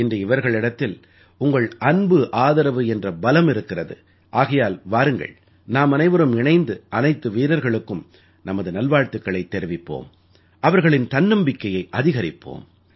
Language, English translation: Tamil, Today, they possess the strength of your love and support that's why, come…let us together extend our good wishes to all of them; encourage them